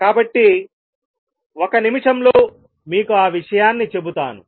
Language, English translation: Telugu, So, let me just tell you that also in a minute